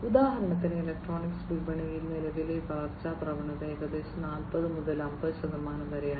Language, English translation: Malayalam, So, for example for electronics market, the current growth trend is about 40 to 50 percent